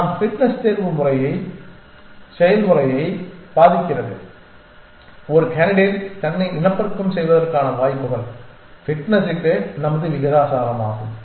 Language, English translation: Tamil, Our fitness influences the selection process the chances of a candidate reproducing itself our proportional to fitness